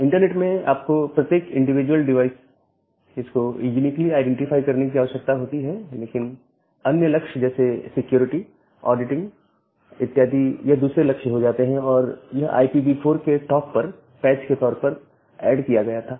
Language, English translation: Hindi, So, you need to uniquely identify every individual devices in the internet but the other goals like the security, the auditing that became the secondary goal and that was added as a patch on top of the IPv4 address